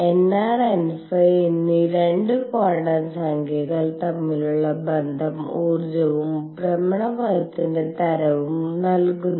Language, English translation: Malayalam, And the relationship between 2 quantum numbers namely n r and n phi gives the energy and the type of orbit